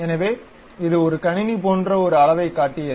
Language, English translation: Tamil, So, it showed something like a size like computer